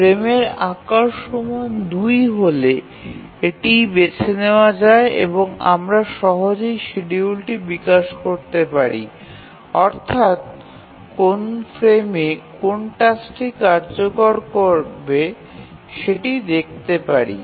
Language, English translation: Bengali, And once we have the frame size 2, then we can easily develop the schedule which frame, in which frame which task will execute